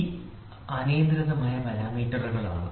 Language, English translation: Malayalam, So, these are uncontrollable parameters